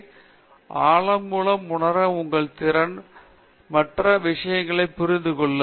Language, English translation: Tamil, So, through the depth, your ability to perceive, understand other things will improve